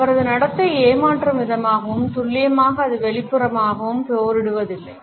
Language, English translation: Tamil, His demeanour is deceptive, precisely because it does not appear outwardly belligerent